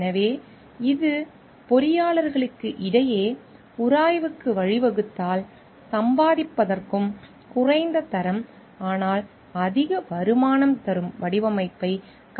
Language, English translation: Tamil, So, like if it leads to a friction between engineers design to earn and pass design that carry low quality, but higher returns